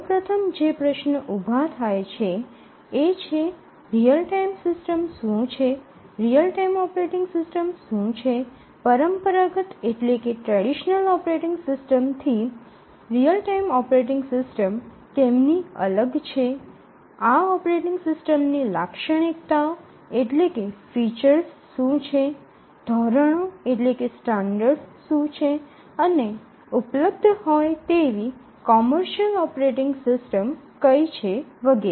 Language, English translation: Gujarati, So, the first question that we need, somebody would ask is that what is a real time system, what is a real time operating system, how is real time operating system different from a traditional operating system, what are the features of this operating system, what are the standards etcetera, what are the commercial operating systems that are available